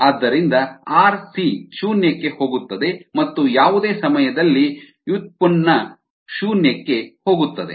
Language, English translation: Kannada, so r c goes to zero and steady state anytime derivative goes to zero